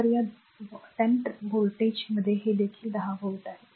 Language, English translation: Marathi, So, across this 10 volt this is also 10 volt